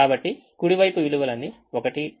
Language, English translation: Telugu, so the right hand side values are all one